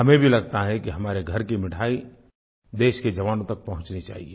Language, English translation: Hindi, We also feel that our homemade sweets must reach our country's soldiers